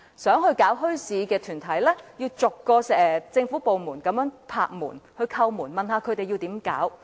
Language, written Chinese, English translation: Cantonese, 有意設立墟市的團體要逐個政府部門叩門，詢問應怎樣做。, Any organization interested in setting up a bazaar has to knock at the doors of different government departments one by one asking what should be done